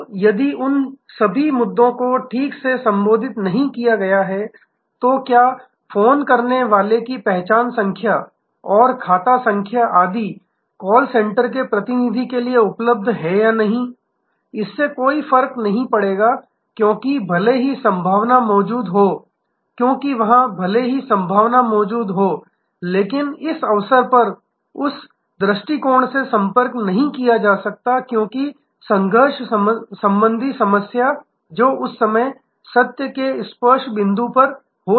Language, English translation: Hindi, Now, of if all those issues have not been properly addressed, then whether the caller id and account number etc are available to the call center representative or not, will not make of a difference, because there even though the possibility exists, the occasion may not approach that possibility, because of the conflict attitudinal problem that may be at the touch point during that moment of truth